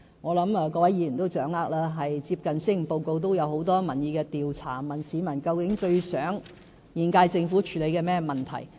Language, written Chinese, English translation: Cantonese, 我相信各位議員都知道，最近就施政報告進行了很多民意調查，問市民最希望現屆政府處理甚麼問題。, I think Members all know of the many opinion polls conducted in connection with the Policy Address . These opinion polls ask people to select the issues which they want the current Government to tackle as a matter of priority